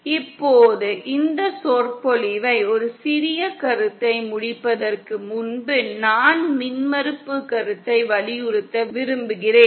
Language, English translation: Tamil, Now before ending this lecture just one small concept, I want to stress is the concept of impedance